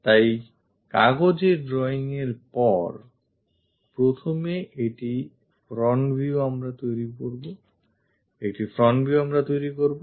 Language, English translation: Bengali, So, after drawing that on the sheet; first one front view we will construct it